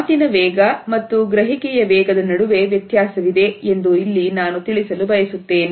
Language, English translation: Kannada, Here I would also like to point out that there is a variation between the speed of speech and the speed of comprehension